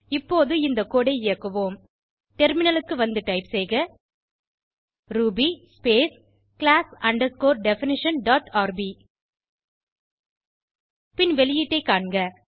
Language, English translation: Tamil, Now let us execute this code Switch to the terminal and type ruby space class underscore definition dot rb and see the output